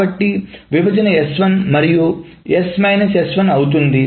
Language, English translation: Telugu, So the partition is S 1 and S minus S 1